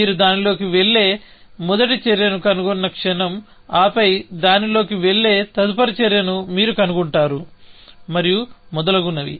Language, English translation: Telugu, The moment you find the first action that will go into it, and then you find the next action that will go into it, and so on and so forth